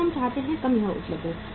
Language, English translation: Hindi, Less we want, less it is available